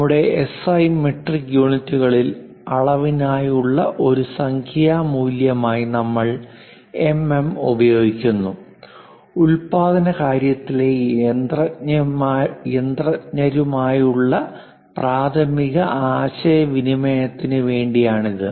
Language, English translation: Malayalam, In our SI metric units, we use mm as numerical value for the dimension and this is the main communication to machinists in the production facility